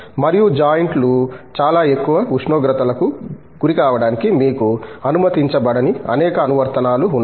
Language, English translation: Telugu, And, there are a number of applications were you are not allowed to, for the joint to be exposed to very height temperatures